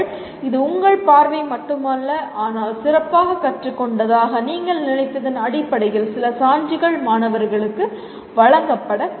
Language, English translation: Tamil, It is not your view alone, but some evidence will have to be given on basis on which you learn you thought the students have learnt better